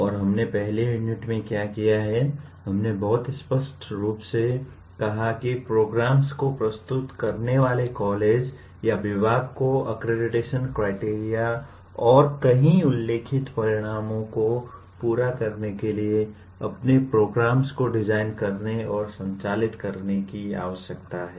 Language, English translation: Hindi, And what we have done in the first unit, we stated very clearly that the college or the department offering the program needs to design and conduct its programs to meet several stated outcomes to meet the accreditation criteria